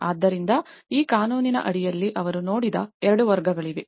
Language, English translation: Kannada, So and under this law, there are 2 categories which they looked